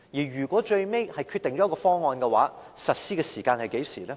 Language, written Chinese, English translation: Cantonese, 如果最後訂定出一個方案，實施時間是何時呢？, If a proposal was formulated in the end what would be the time for implementation?